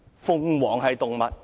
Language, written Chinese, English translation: Cantonese, 鳳凰是動物？, Is phoenix an animal?